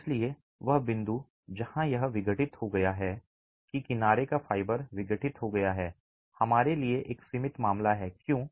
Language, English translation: Hindi, Hence that point where it's been decompressed, that edge fiber is decompressed is a limiting case for us